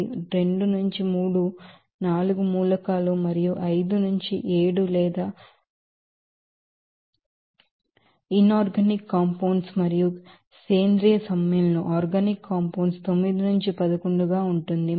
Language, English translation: Telugu, It will be 2 to 3, 4 elements and to be 5 to 7 or inorganic compounds and to be 9 to 11 for organic compounds